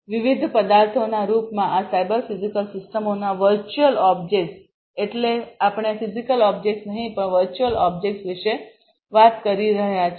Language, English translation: Gujarati, The abstractions of these cyber physical systems in the form of different objects; objects means we are talking about virtual objects not the physical objects